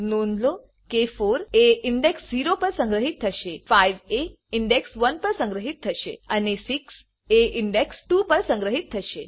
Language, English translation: Gujarati, Note that 4 will be store at index 0, 5 will be store at index 1 and 6 will be store at index 2 Then we print the sum